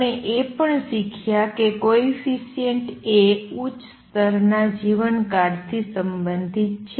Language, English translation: Gujarati, We also learnt that A coefficient is related to the lifetime of the upper level